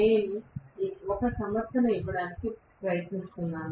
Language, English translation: Telugu, I am trying to give a justification, right